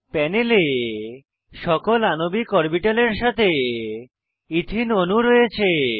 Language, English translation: Bengali, On the panel, we have ethene molecule with all the molecular orbitals